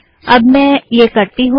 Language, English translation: Hindi, So let me do that